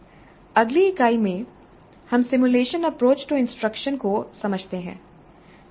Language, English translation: Hindi, And in the next unit we understand simulation approach to instruction